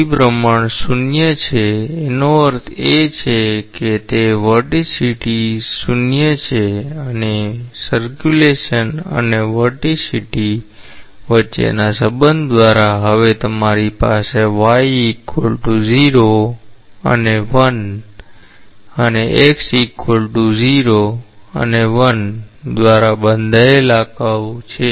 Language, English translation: Gujarati, The rotation is 0; that means, it is vorticity is 0 and by the relationship between circulation and vorticity, now you have a curve bounded by what y = 0 and 1 and x = 0 and 1